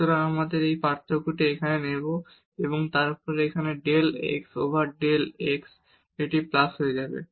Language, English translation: Bengali, So, we will take this difference here and then so, del z over del x here this will become plus